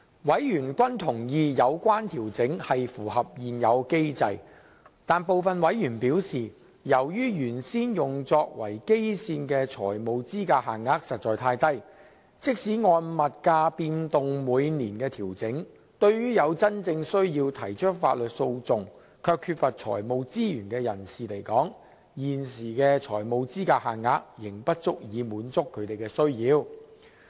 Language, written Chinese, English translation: Cantonese, 委員均認同有關調整是符合現有機制，但部分委員表示，由於原先用作為基線的財務資格限額實在太低，即使按物價變動每年調整，對於有真正需要提出法律訴訟卻缺乏財務資源的人士來說，現時的財務資格限額仍不足以滿足他們的需要。, Members agree that the adjustment is in line with the existing mechanism . Yet some members reckon that as the original financial eligibility limits adopted as the baseline were too low even with the annual adjustments based on price movement the current financial eligibility limits are inadequate to meet the need of people who have a genuine need to initiate legal actions but lack financial resources